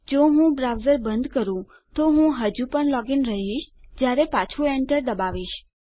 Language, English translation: Gujarati, If I close the browser I am still going to be logged in when I enter back